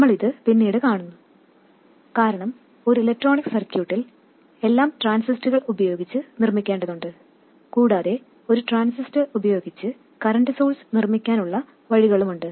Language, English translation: Malayalam, How to make this current source we see later because in an electronic circuit everything has to be made using transistors and there are ways of making a current source also using a transistor